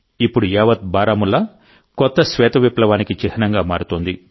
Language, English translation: Telugu, The entire Baramulla is turning into the symbol of a new white revolution